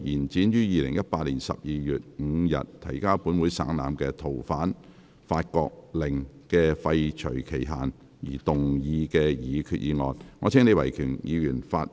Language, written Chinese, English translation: Cantonese, 根據《逃犯條例》就延展於2018年12月5日提交本會省覽的《逃犯令》的廢除期限而動議的擬議決議案。, Proposed resolution under the Fugitive Offenders Ordinance to extend the period for repealing the Fugitive Offenders France Order which was laid on the table of this Council on 5 December 2018